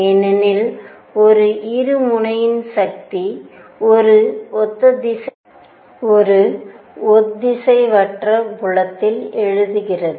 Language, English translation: Tamil, Because the force on a dipole arises in an inhomogeneous field